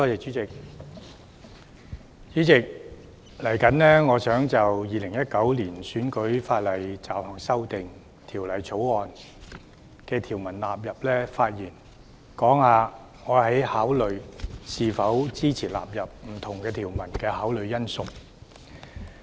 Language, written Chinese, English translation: Cantonese, 主席，我現在就《2019年選舉法例條例草案》發言，談談我考慮是否支持納入不同條文的因素。, Chairman I now speak on the Electoral Legislation Bill 2019 the Bill and I will talk about the factors which I have considered in determining whether I will support the various provisions standing part of the Bill